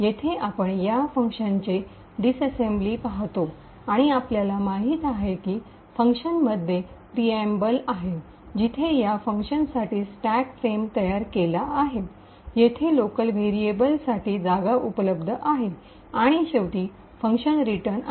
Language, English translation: Marathi, Over here we see the disassembly for this particular function and as we know there is a preamble in the function where the stack frame is created for this particular function, there are space for the local variables over here and finally the function returns